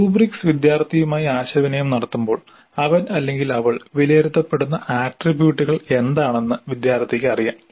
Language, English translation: Malayalam, When the rubrics are communicated to the student, student knows what are the attributes on which he or she is being assessed